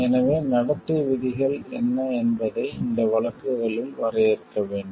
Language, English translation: Tamil, So, what are the codes of conduct needs to be defined in these cases